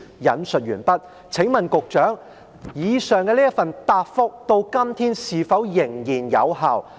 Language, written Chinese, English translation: Cantonese, "我請問局長，上述答覆到今天是否仍然有效？, unquote May I ask the Secretary whether the above mentioned reply is still valid today?